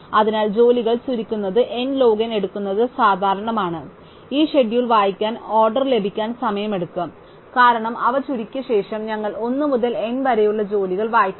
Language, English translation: Malayalam, So, sorting the jobs takes n log in is usual and reading of this schedule just takes order n time, because we just we read out jobs 1 to n after they are sorted